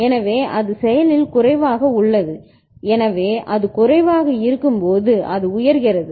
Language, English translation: Tamil, So, that is active low so when it is low it is becoming high right